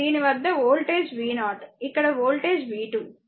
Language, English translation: Telugu, Across is voltage is v 0 here across voltage is v 2